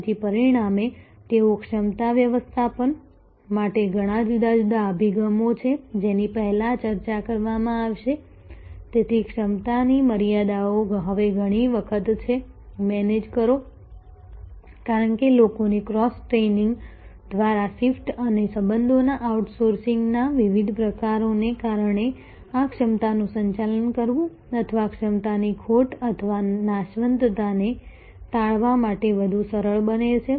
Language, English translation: Gujarati, So, as a result they are many different approaches to capacity management, which will discuss before, so the capacity constrains is often now, manage, because of a shift by cross training of people and a different sorts of outsourcing the relationships this becomes much more easier to manage capacity or avoid loss or perishability of capacity